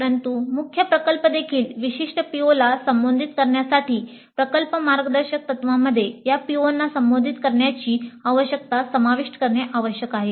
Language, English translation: Marathi, But for even the main project to address specific POs, project guidelines must include the need to address these POs